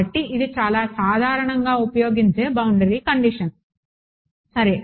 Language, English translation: Telugu, So, this is very very commonly used boundary condition ok